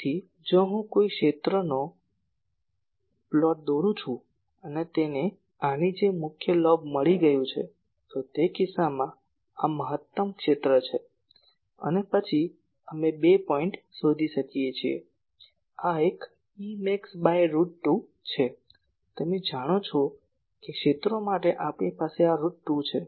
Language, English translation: Gujarati, So, if I plot a field and it has got a main lobe like this , then in that case, this is the maximum field and then we locate two points; one is E max by root 2 , you know this that for fields we have this root 2